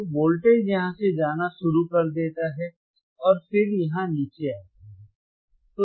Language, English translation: Hindi, So, voltage starts attenuating where from here actually right and then it comes down here